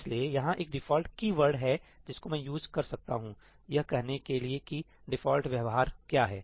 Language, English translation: Hindi, So, there is a ‘default’ keyword which I can use to say what the default behavior is